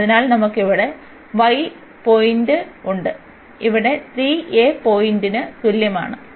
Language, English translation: Malayalam, So, we have a 3 a point here y is equal to 3 a point